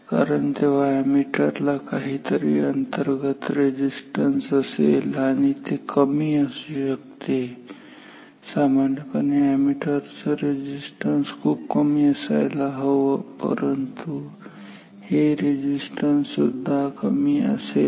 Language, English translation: Marathi, Because, then this ammeter has also some internal resistance and that may be low ammeter resistance is low normally that is what the ammeter resistance should be low, but this resistance is also low